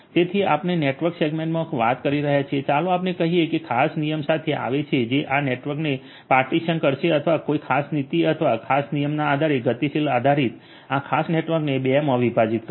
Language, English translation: Gujarati, So, we are talking about in network segmentation having you know let us say that coming up with certain rule which will partition this network or segment this particular network into 2 dynamically based on a certain policy or a certain rule